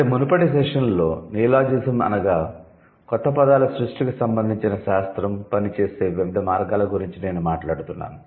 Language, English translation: Telugu, So, in the previous session I was talking about what are the different ways by which neologism works